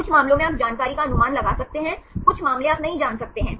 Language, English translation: Hindi, Some cases you can infer the information, some cases, it is not